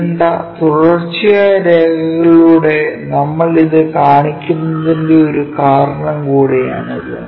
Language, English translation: Malayalam, That is also one of the reason we show it by dark continuous lines